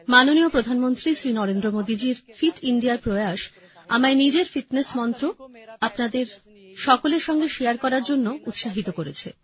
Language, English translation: Bengali, Honorable Prime Minister Shri Narendra Modi Ji's Fit India initiative has encouraged me to share my fitness mantra with all of you